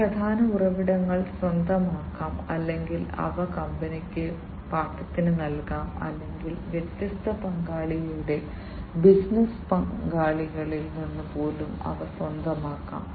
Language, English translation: Malayalam, And these key resources can be owned or they can be leased by the company or they can they can be even acquired from different partner’s business partners